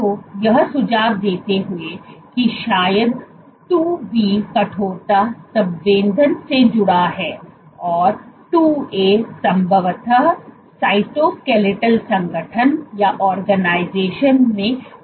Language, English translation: Hindi, So, suggesting that probably IIB is associated, so IIB is associated with stiffness sensing and IIA probably contributes to the cytoskeletal organization